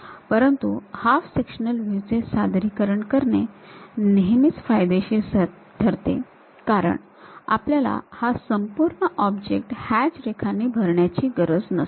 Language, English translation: Marathi, But, representing half sectional views are advantageous because we do not have to fill the entire object by this hatched lines